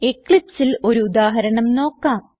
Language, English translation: Malayalam, Now, let us try out an example in Eclipse